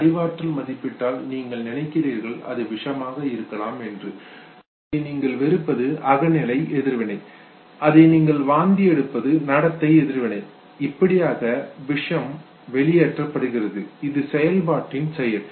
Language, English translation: Tamil, And then the cognitive appraisal you think it could be poison you are disgusted this is the subjective reaction you vomit that is the behavioral reaction and this is how the poison gets ejected this is the function that it performs